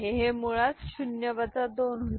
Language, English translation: Marathi, So, that is basically 0 minus 2